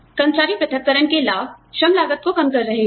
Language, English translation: Hindi, Benefits of employee separations are reduced labor costs